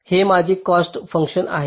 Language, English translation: Marathi, this is my cost function